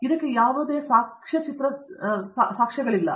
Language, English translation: Kannada, There is no documentary evidence for that